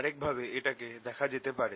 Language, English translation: Bengali, there is another way of looking at